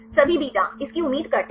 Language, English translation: Hindi, All beta its expected right